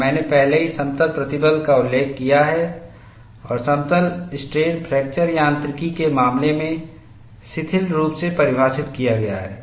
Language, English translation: Hindi, And I have already mentioned the plane stress, and plane strains are loosely defined in the case of fracture mechanics